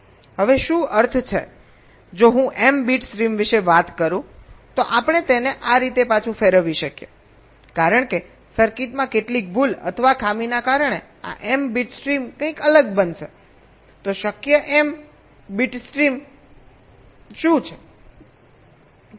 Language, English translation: Gujarati, if i talk about m bit stream we revert it like this: because of some error or fault in the circuit, this m bit stream will become something different